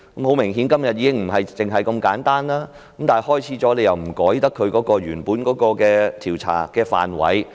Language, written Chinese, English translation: Cantonese, 很明顯，今天的情況已並非如此簡單，但調查開始了又不能更改原本的調查範圍。, Obviously the situation now is no longer that simple but the scope of investigation cannot be revised after the start of hearings